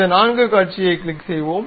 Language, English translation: Tamil, Let us click this four view